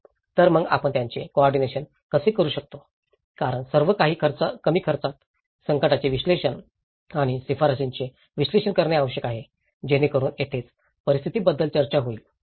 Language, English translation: Marathi, So, how we can coordinate it because everything has to be cost effective, analysis of the distress and recommendations, so that is where it talks about the situations